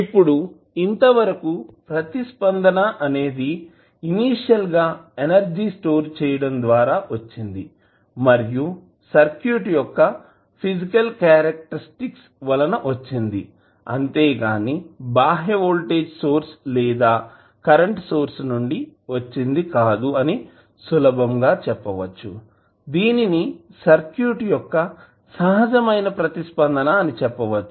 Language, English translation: Telugu, Now, since, the response is due to the initial energy stored and physical characteristic of the circuit so, this will not be due to any other external voltage or currents source this is simply, termed as natural response of the circuit